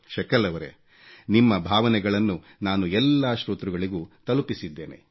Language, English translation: Kannada, Sakal ji, I have conveyed your sentiments to our listeners